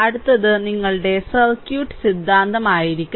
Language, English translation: Malayalam, So, next one will be your circuit theorem right